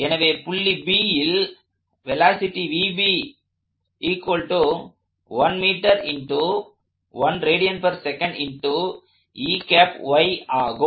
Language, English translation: Tamil, So this is the velocity of B